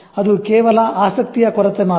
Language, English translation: Kannada, It's only lack of interest